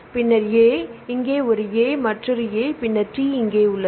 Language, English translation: Tamil, So, then where here you have a here you have A, here you have A